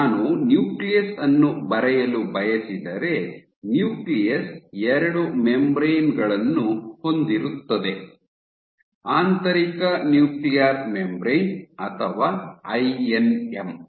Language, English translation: Kannada, So, if I want to draw the nucleus, you have actually, so the nuclear membrane has two membranes the nucleus has two membranes, the inner nuclear membrane or INM